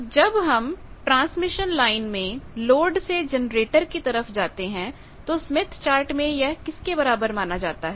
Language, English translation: Hindi, So, you move from generator, you move from load to generator in the transmission line what is the equivalence in Smith Chart